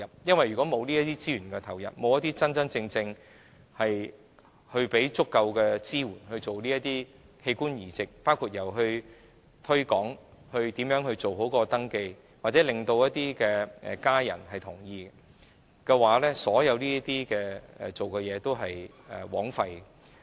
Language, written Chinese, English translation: Cantonese, 因為如果沒有資源投入，沒有提供足夠支援，包括推廣器官捐贈、如何做好登記或令捐贈者家人同意等所有工夫，也都是枉費的。, Because without injection of resources or provision of sufficient support including promotion of organ donation no matter how well we have done in registration or in getting consent from donors family members all efforts will also be wasted